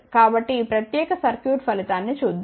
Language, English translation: Telugu, So, let us see the result of this particular circuit